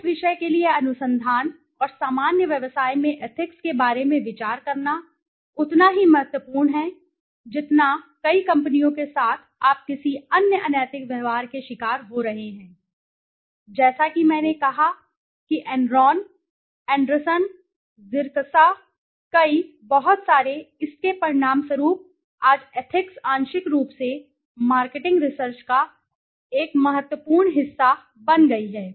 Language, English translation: Hindi, So consideration of ethics in research and general business for that matter is of growing importance as I said, with so many companies you know falling prey to some other unethical behavior, as I said Enron, Anderson, Xerox, many, many, many companies so as a result of it today ethics has become a very important part in partial of marketing research